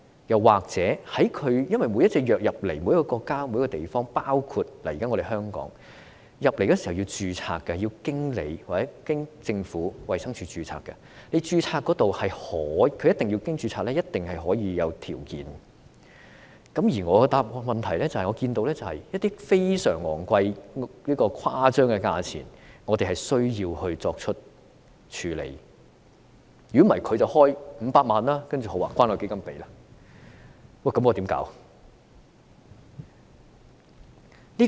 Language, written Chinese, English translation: Cantonese, 又或者，每一種藥物進口每個國家或地區時必定須要註冊；既然必須經過衞生署註冊，便可在註冊時施加條件；而我的問題是：一些非常昂貴、達到誇張程度的價錢，我們需要處理，否則藥廠便會開價500萬元，然後由關愛基金支付，那麼我們怎麼辦？, Alternatively given that every drug to be imported into any country or region including Hong Kong must be registered the Department of Health can apply conditions of registration . My question is as some drugs carry an exaggeratedly expensive price tag and we need to deal with them otherwise the drug manufacturers will quote a price of 5 million and then it will be paid by CCF what should we do?